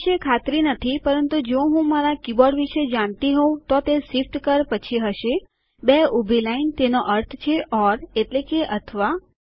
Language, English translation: Gujarati, Not quiet sure about that but if you know my keyboard it will be next to the shift key two vertical line that means or